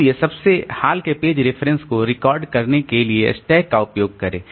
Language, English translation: Hindi, So, use of a stack to record the most recent page references